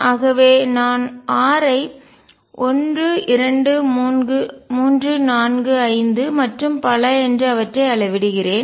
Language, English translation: Tamil, So, I am measuring r one 2 3 4 5 and so on